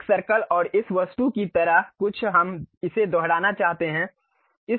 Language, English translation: Hindi, Something like circle and this object we want to repeat it